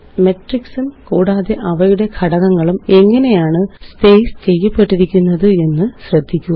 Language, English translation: Malayalam, Notice how the matrices and their elements are well spaced out